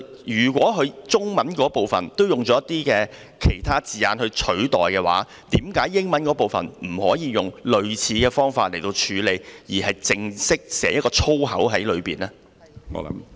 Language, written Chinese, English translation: Cantonese, 如果中文部分使用一些其他字眼代替，為何英文部分不可以用類似方法處理，而是寫上一個正式的粗口呢？, Is that an appropriate practice? . Given that alternative wording has been used in the Chinese part why can we not apply a similar method in the English part instead of writing the swear word in its original form?